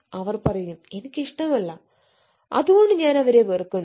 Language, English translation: Malayalam, they will say, no, i just hate because i do not like them